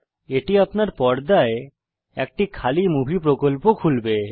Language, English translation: Bengali, This will open an empty Movie project on your screen